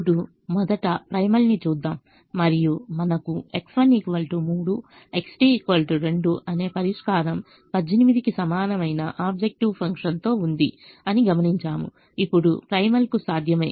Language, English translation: Telugu, let us first look at the primal and observe that we have a solution: x one equal to three, x two equal to two, with objective function equal to eighteen is feasible to the primal